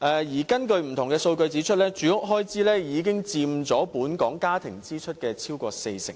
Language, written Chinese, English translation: Cantonese, 而根據不同數據指出，住屋開支已佔本港家庭支出超過四成了。, Furthermore various figures show that housing expenditure now accounts for more than 40 % of overall household expenditure in Hong Kong